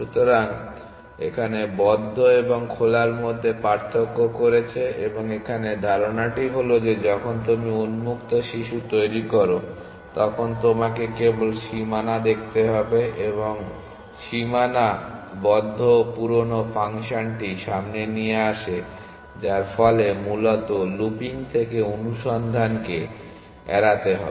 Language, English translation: Bengali, So, they distinguished between closed and open and the idea here is that when you generate children of open you only need to look at the boundary and boundary serves the old function of closed which has to avoid the search from looping essentially